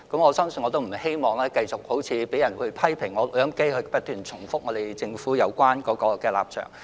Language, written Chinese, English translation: Cantonese, 我不希望繼續被人批評我像錄音機般不斷重複政府的有關立場。, I do not want to be criticized for repeating the Governments position like an audio recorder